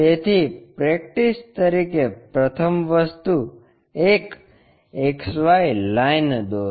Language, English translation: Gujarati, So, the first thing as a practice draw a XY line